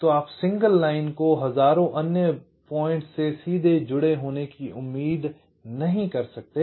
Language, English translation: Hindi, so i mean you cannot expect a single line to be connected directly to thousand other points